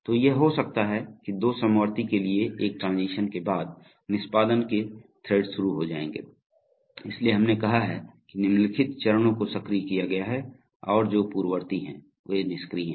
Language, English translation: Hindi, So it may happen that after a one transition to two concurrent, you know threads of execution will start, so that is why we have said steps following it are activated and those preceding it are deactivated